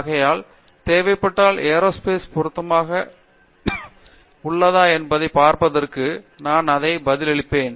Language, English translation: Tamil, So, I am going to answer it in that way to start with and see where aerospace fits in, if required